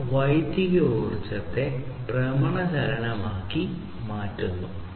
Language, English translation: Malayalam, And this one is electrical energy into rotational motion